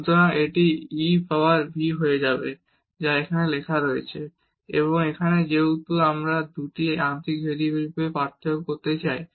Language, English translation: Bengali, So, this will become e power v which is written here and now since we want to get the difference of these 2 partial derivatives